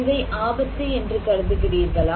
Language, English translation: Tamil, Should we consider this is as risky